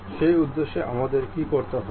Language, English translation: Bengali, For that purpose what we have to do